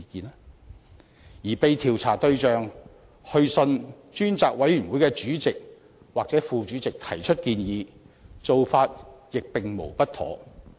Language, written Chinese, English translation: Cantonese, 至於被調查對象致函專責委員會主席或副主席提出建議，此做法亦無不妥。, It is also appropriate for the subject of inquiry to write to either the Chairman or the Deputy Chairman of the Select Committee to voice his proposals